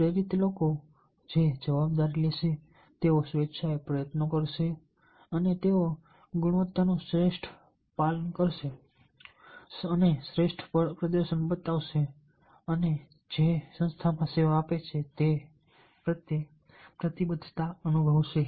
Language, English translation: Gujarati, and the motivated people that they will take responsibility, they will put effort willingly, they will give their best, adhere to quality, show performance and feel committed to the organization they serve